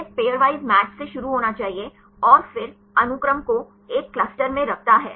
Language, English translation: Hindi, It must begin with the pairwise match and then places the sequence in a cluster